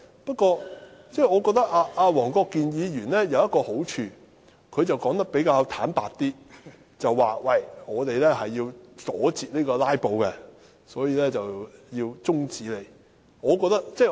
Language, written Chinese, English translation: Cantonese, 不過，我覺得黃國健議員有一個好處，他說得很坦白，表明是要阻截"拉布"，所以要提出中止待續議案。, However I think Mr WONG Kwok - kin had the merit of speaking frankly indicating that he moved the adjournment motion with a view to cutting off filibustering